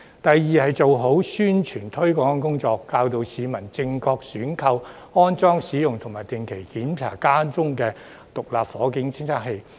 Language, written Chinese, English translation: Cantonese, 第二，要做好宣傳推廣工作，教導市民正確選購、安裝、使用及定期檢查家中的獨立火警偵測器。, Secondly it has to carry out promotion and publicity work properly to educate members of the public on the proper purchase installation use and regular inspection of SFDs in their homes